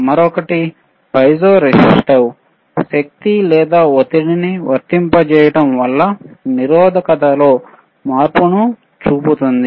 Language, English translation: Telugu, Another one is piezo resistive, applying force or pressure will show change in resistance,